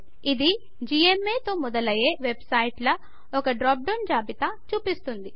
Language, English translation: Telugu, It brings up a drop down list with websites that start with gma